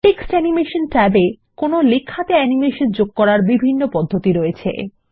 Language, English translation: Bengali, The Text Animation tab offers various options to animate text